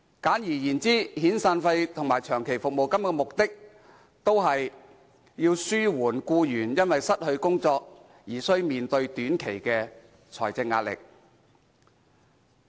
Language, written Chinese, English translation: Cantonese, 簡而言之，遣散費及長期服務金的目的，都是要紓緩僱員因失去工作而須面對短期的財政壓力。, Simply put severance and long service payments seek to alleviate the short - term financial hardship upon loss of employment